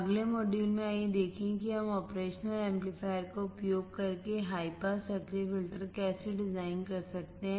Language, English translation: Hindi, In the next module, let us see how we can design the high pass active filters using the operation amplifier